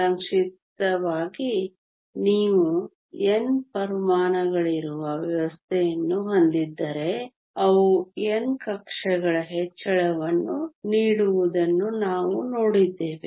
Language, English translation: Kannada, Briefly if you have a system where there are N atoms we saw that they give raise to N orbitals